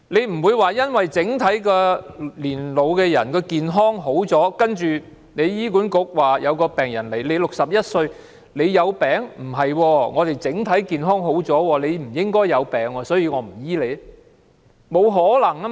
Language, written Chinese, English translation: Cantonese, 不能因為長者整體上較以往健康，有病人到醫管局求診，便說"你61歲不可能生病，長者整體健康較以往佳，不應該生病，所以不會為你治病"。, Just because the elderly are generally healthier than before does not mean when a patient seeks help from the Hospital Authority it will tell him You cannot be ill at 61 . Elderly people are generally healthier than before so you should not be ill and we will not treat you